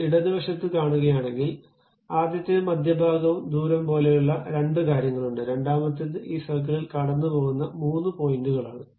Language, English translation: Malayalam, If you are seeing on the left hand side, there are two things like first one is center and radius, second one is some three points around which this circle is passing